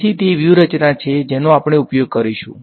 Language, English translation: Gujarati, So, that is the strategy that we will use